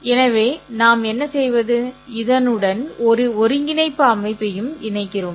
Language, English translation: Tamil, So what we do is we also associate a coordinate system to this